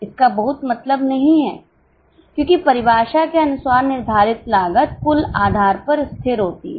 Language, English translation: Hindi, It doesn't make much sense because the fixed cost as per definition is constant on a total basis